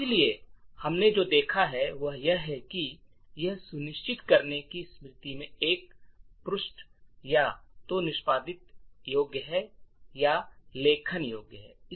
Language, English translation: Hindi, So, what we have seen is that, this bit would ensure that a particular page in memory is either executable or is writeable